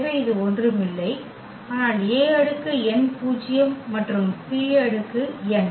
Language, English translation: Tamil, So, this will be nothing, but the a power n zero and b power n